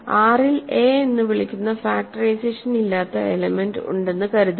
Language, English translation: Malayalam, Suppose that there is an element of a R called a which has no factorization